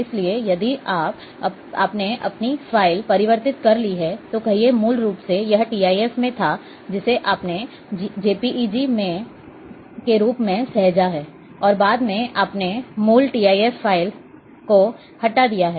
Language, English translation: Hindi, So, if you have converted your file, say, originally it was in TIF you have saved as JPEG, and later on you have deleted the original TIF file